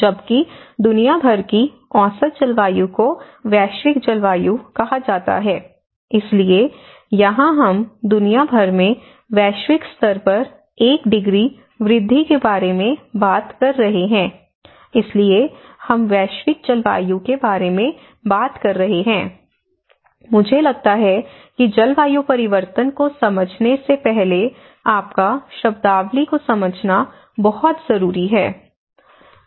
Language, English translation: Hindi, Whereas, the average climate around the world is called the global climate so, here we are talking about the one degree rise of the global around the world, so that is where we are talking about the global climate so, I think these terminologies are very important for you to understand before understanding the climate change